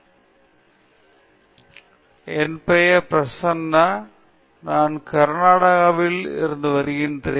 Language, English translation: Tamil, Hello sir, my name is Prasanna, I am from Karnataka